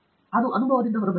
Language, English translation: Kannada, That has come out of experience